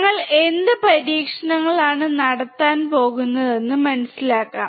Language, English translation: Malayalam, Let us understand what experiments we are going to perform